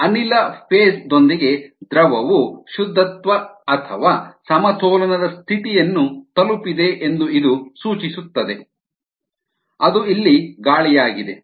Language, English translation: Kannada, so this indicates that the liquid has reached saturation or equilibrium condition with the gas phase which is air here